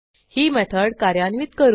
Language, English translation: Marathi, Then let us execute this method